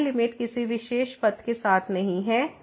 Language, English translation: Hindi, So, this is this limit is not along a particular path